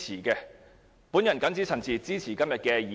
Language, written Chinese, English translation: Cantonese, 我謹此陳辭，支持今天的議案。, With these remarks I support the motion today